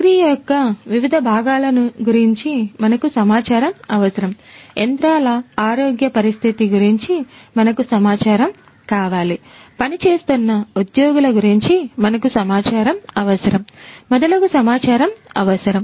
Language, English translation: Telugu, We need data about different parts of the process, we need data about the health condition of the machines, we need data about the workforce the employees that are working and so on